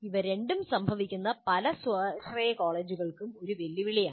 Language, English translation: Malayalam, So making these two happen is a challenge for many of these self financing colleges